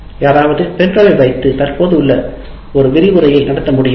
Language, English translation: Tamil, Can someone put the pen drive in and present a lecture